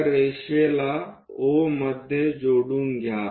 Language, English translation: Marathi, Join O with that line